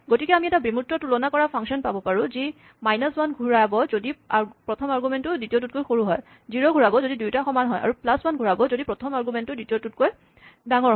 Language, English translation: Assamese, So, we might have an abstract compare function, which returns minus 1 if the first argument is smaller, zero if the 2 arguments are equal, and plus 1 if the first argument is bigger than the second